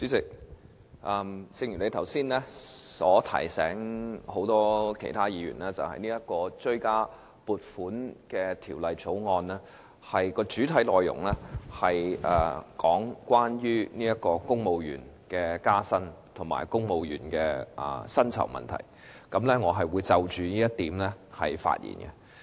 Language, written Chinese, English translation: Cantonese, 主席，正如你剛才提醒議員，這項《追加撥款條例草案》的主要內容，與公務員加薪及公務員薪酬問題有關，我也會就着這一點發言。, President rightly as you reminded Members just now the Supplementary Appropriation 2016 - 2017 Bill the Bill mainly deals with the civil service pay and pay increase . I will also speak on this point